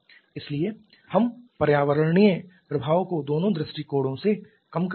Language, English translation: Hindi, So, we are having environmental in we are reducing environmental impact from both point of view